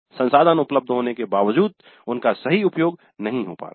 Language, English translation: Hindi, Even though resources are available they are not utilized properly